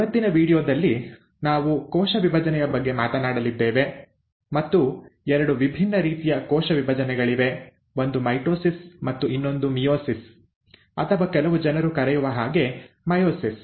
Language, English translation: Kannada, In today’s video, we are going to talk about cell division, and there are two different kinds of cell divisions, and one is mitosis and the other is meiosis, or ‘Myosis’ as some people call it